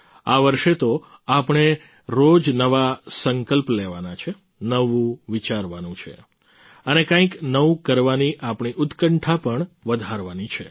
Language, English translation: Gujarati, This year we have to make new resolutions every day, think new, and bolster our spirit to do something new